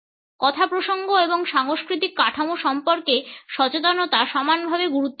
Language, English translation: Bengali, Awareness about context and cultural frameworks is equally important